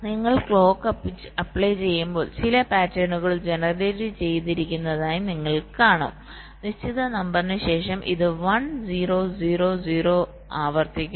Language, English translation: Malayalam, you see, as you go and applying clocks, you will see some patterns have been generated and after certain number, this one, zero, zero, zero is repeating